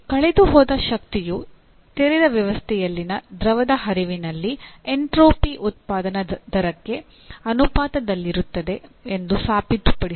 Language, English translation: Kannada, Prove that lost power is proportional to entropy generation rate in the fluid flow in an open system